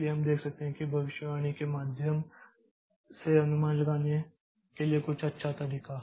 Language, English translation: Hindi, So so we can see that is a good approach for doing the approximation via the prediction